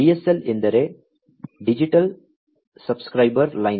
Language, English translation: Kannada, DSL stands for Digital Subscriber Line